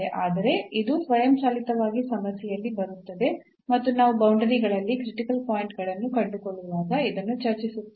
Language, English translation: Kannada, But, this will automatically come in the problem and we discuss when we find the critical points on the boundaries